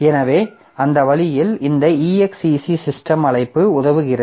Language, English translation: Tamil, So, that way that's how this exact system call comes into help